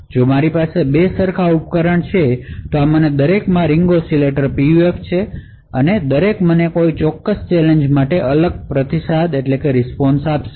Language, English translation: Gujarati, If I have two exactly identical devices, each of these devices having a Ring Oscillator PUF, each would give me a different response for a particular challenge